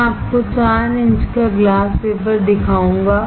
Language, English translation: Hindi, I will show you a 4 inch glass wafer